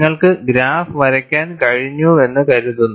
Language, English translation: Malayalam, I suppose, you have been able to draw the graph and it is very simple